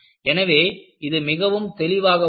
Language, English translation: Tamil, So, it is very clear